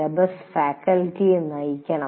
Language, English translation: Malayalam, So the syllabus should guide the faculty